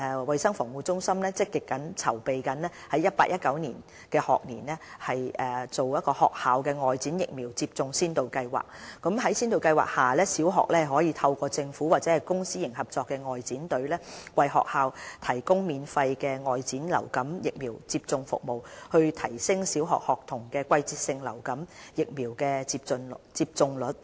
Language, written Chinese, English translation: Cantonese, 衞生防護中心正積極籌備於 2018-2019 學年推行學校外展疫苗接種先導計劃，在先導計劃下，小學可透過政府或公私營合作外展隊，為學校提供免費的外展流感疫苗接種服務，以期提升小學學童的季節性流感疫苗接種率。, To further increase seasonal influenza vaccination uptake rate amongst primary school students the Centre for Health Protection CHP is gearing up the School Outreach Vaccination Pilot Programme for the School Year 2018 - 2019 . Under the Pilot Programme the Government will arrange vaccination teams either by the Government Outreach Team or by the PPP Outreach Team to provide outreach vaccination service for the participating primary schools